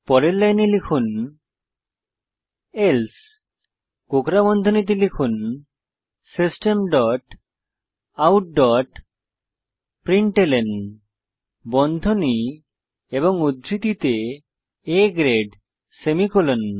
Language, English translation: Bengali, Next line type else within brackets type System dot out dot println within brackets and double quotes A grade semicolon